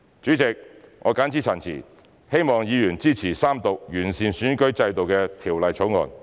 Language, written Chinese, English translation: Cantonese, 主席，我謹此陳辭，希望議員支持三讀完善選舉制度的《條例草案》。, President with these remarks I hope Honourable Members can support the Third Reading of the Bill that seeks to improve the electoral system